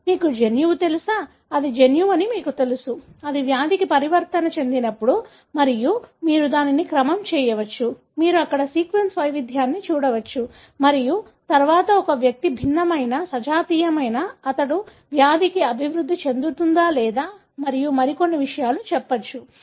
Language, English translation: Telugu, So, you know the gene, you know that that is the gene when it is mutated results in the disease and you can sequence it, you can look at the sequence variance there and then tell whether an individual, heterozygous, homozygous, whether he will develop disease and so on